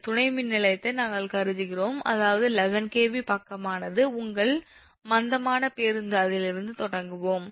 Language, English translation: Tamil, what we will do, we will assume this substation, that is, that eleven kv side, is your slag bus, right, that with from that we will start